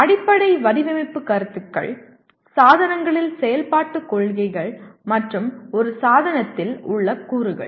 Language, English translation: Tamil, Fundamental Design Concepts operational principles of devices and components within a device